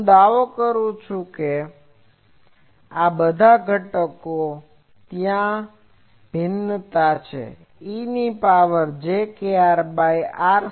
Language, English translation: Gujarati, I am claiming that all these components there are variation is of the form e to the power minus jkr by r